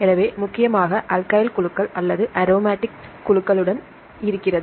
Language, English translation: Tamil, So, mainly with the alkyl groups or aromatic groups right